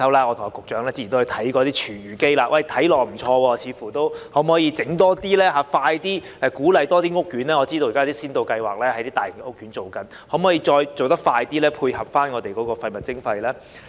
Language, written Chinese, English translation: Cantonese, 我和局長之前都看過一些廚餘機，看起來似乎不錯，可否多提供這類設施，盡快鼓勵更多屋苑採用，我知道現時一些大型屋苑正在實施先導計劃，可否再做得快點，配合廢物徵費呢？, The Secretary and I have looked at some food waste composters before and they seemed to be quite good . Can more such facilities be provided to encourage usage by more housing estates as soon as possible? . I understand that some housing estates are implementing the pilot scheme now